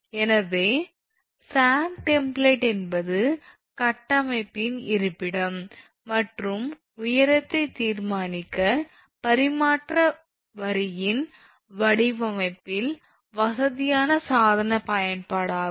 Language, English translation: Tamil, So, sag template is a convenient device use in the design of a transmission line to determine the location and height of the structure